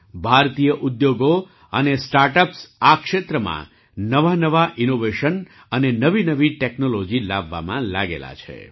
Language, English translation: Gujarati, Indian industries and startups are engaged in bringing new innovations and new technologies in this field